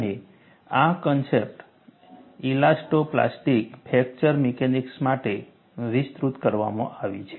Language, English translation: Gujarati, And, these concepts are extended for elasto plastic fracture mechanics